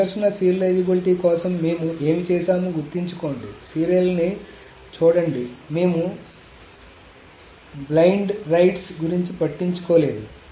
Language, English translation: Telugu, So remember what we did for conflict serializability to view serializability, we did not take care of the blind rights